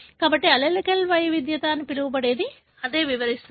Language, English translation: Telugu, So, that is what explains what is known as allelic heterogeneity